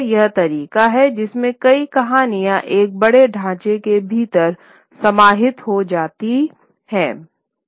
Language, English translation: Hindi, So, that is another way in which many stories get incorporated within a larger framework